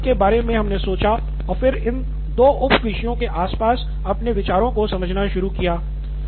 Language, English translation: Hindi, So they thought of this classification and then started clustering their ideas around these two topics, sub topics so to speak